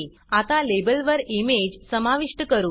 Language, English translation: Marathi, Let us now add the image to the label